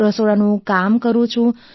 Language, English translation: Gujarati, I do kitchen work